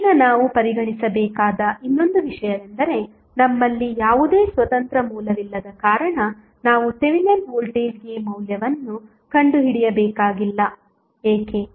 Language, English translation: Kannada, Now, another thing which we have to consider is that since we do not have any independent source we need not to have the value for Thevenin voltage, why